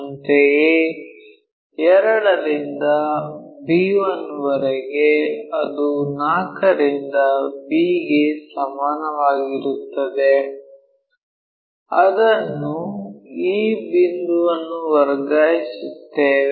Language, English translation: Kannada, Similarly, from 2 to b 1 that is equal to from 4 transfer that this is the point